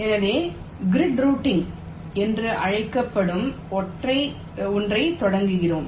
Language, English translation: Tamil, so we start with something called grid routing